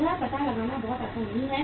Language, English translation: Hindi, It is not very easy to find out